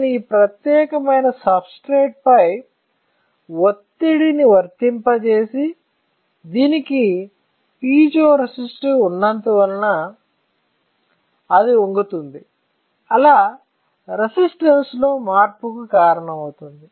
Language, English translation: Telugu, If I apply pressure to this particular substrate, to this one; then because there is a piezo resistor, it will bend and that will cause a change in resistance, all right